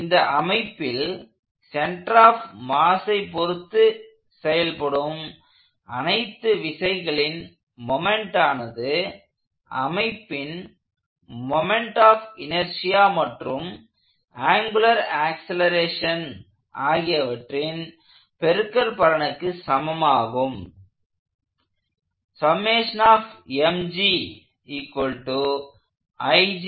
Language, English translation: Tamil, The moments of all the forces in the system taken about the mass center is equal to the moment of inertia of the body times the angular acceleration